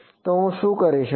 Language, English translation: Gujarati, So, what did I do